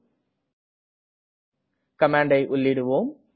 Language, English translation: Tamil, Let us try this command and see